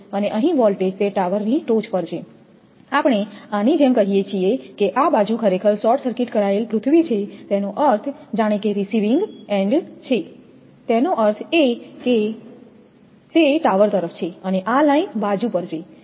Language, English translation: Gujarati, And voltage here it is from the top of the tower, we are going like this say it this side actually short circuited earth means as if it is a receiving end; that means, it is on the tower side and this is on the line side